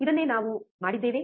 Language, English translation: Kannada, This is what we have done